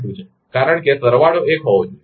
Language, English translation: Gujarati, 2, because summation should be one